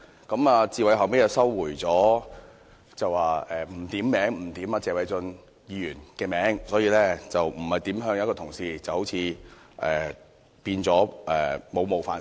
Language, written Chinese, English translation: Cantonese, 他後來收回，說不點名指謝偉俊議員，也不是指任何一位同事，那便沒有冒犯性了。, He subsequently withdrew the remark explaining that he was not referring to Mr Paul TSE or any other colleague and it was thus not an offensive expression